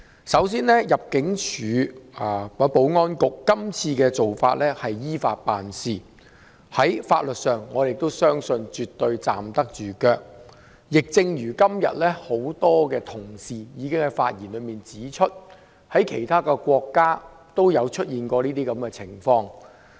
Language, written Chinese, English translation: Cantonese, 首先，入境事務處及保安局今次的做法是依法辦事，在法律上絕對站得住腳；亦正如今天很多議員已經在發言中指出，在其他國家都有出現這種情況。, First of all the Immigration Department ImmD and the Security Bureau have acted in accordance with the law in this incident . As many Members have said today similar cases have happened in many other countries